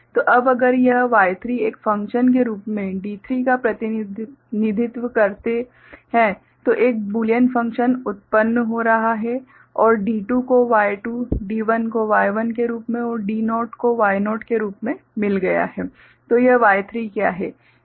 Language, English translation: Hindi, So, now, if we represent D3 as Y 3 a function, a Boolean function getting generated and D2 as Y2, D1 as Y1 and D naught as Y naught right then this Y3 is what